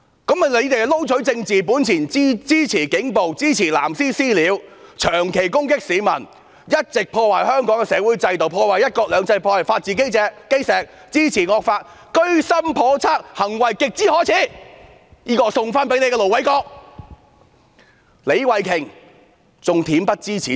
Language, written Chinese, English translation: Cantonese, 他們為撈取政治本錢，支持警暴，支持"藍絲""私了"，長期攻擊市民，一直破壞香港的社會制度，破壞"一國兩制"，破壞法治基石，支持惡法，居心叵測，行為極之可耻，這是我回贈給盧偉國議員的。, In a bid to fish for political gains they have been backing police brutality supporting acts of vigilantism by blue ribbons persistently attacking members of the public continually undermining Hong Kongs social institutions destroying one country two systems eroding the foundation of the rule of law and supporting the draconian law . They are simply up to no good and their acts are downright shameful . This is my rebuke to Ir Dr LO Wai - kwok